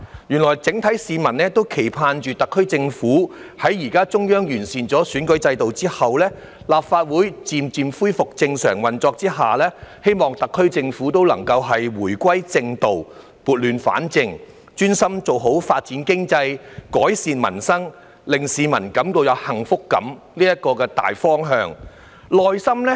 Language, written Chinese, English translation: Cantonese, 原來市民普遍期盼，在現時中央完善選舉制度之後，立法會漸漸恢復正常運作之下，特區政府也能夠回歸正道，撥亂反正，專心朝着發展經濟、改善民生、令市民有幸福感這個大方向做好工作。, As it turns out the publics general expectation is that after the Central Authorities improve the electoral system now and the Legislative Council gradually resumes its normal operation the SAR Government will be able to return to the right path set things right and focus its work on developing the economy improving peoples livelihood and giving the public a sense of happiness . Members of the public have offered many pragmatic views that come from within their hearts